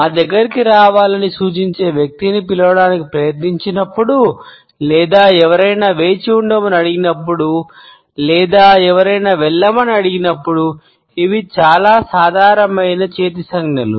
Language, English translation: Telugu, The most common hand gestures are when we try to call somebody indicating the person to come close to us or when we ask somebody to wait or we ask somebody to go away